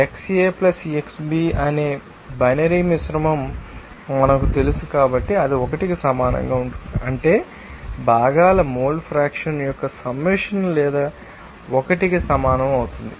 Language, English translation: Telugu, since we know that binary mixture that is xA + xB that will be equal to 1 that means the summation of you know mole fraction of components or will be equals to 1